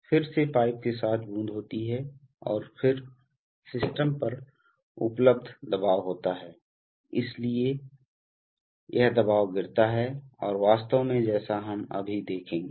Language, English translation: Hindi, Then again there is a drop at along the pipe and then the available pressure at the system is there, so this is the way the pressure drops and actually as we shall see now